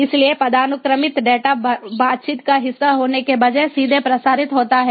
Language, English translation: Hindi, so hierarchical data is transmitted directly instead of being part of the conversation